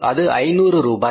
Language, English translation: Tamil, It is 5,000 rupees